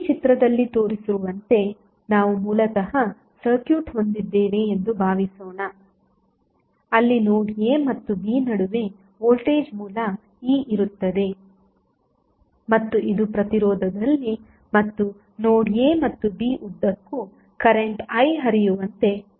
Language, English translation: Kannada, Suppose, we have originally 1 circuit as shown in this figure, where 1 voltage source E is present between node A and B and it is causing a current I to flow in the resistance and along the note A and B